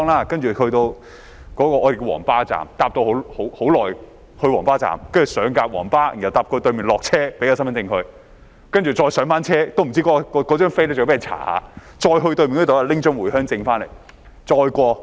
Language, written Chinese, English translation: Cantonese, "接着乘車很久才抵達我們稱為"皇巴站"的地方，上了"皇巴"後搭到對面下車，檢查身份證，然後再上車——我也不知道是否需要檢查車票——再到對面查驗回鄉證過關。, Then it was a long ride to get to a place called the Yellow Bus Station . They had to get on a Yellow Bus get off upon arrival at another side have their identity cards checked then get on the bus again―I am not sure if ticket inspection was required―and then on the Mainland side have their Home Visit Permits checked for customs clearance